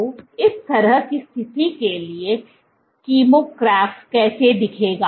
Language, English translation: Hindi, So, how would the kymograph look for this kind of a situation